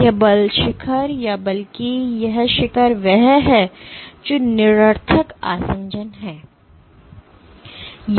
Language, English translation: Hindi, So, this force peak or rather this peak is what is that nonspecific adhesion